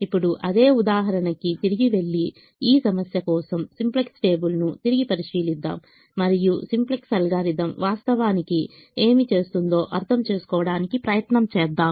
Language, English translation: Telugu, now let's go back to the same example, revisit the simplex table for this problem and try to understand what the simplex algorithm is actually doing